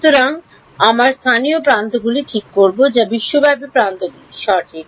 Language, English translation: Bengali, So, we will fix the local edges what remains is global edges right